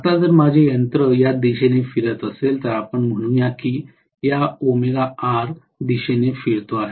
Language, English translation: Marathi, Now, if my machine is rotating in this direction let us say it is rotating in this direction in omega R